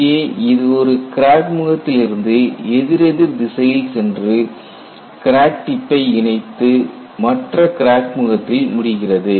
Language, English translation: Tamil, Here, it starts from one crack face, goes in an anticlockwise direction, encloses the crack tip and ends in the other crack face